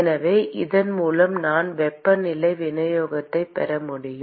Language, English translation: Tamil, So, with this can I get the temperature distribution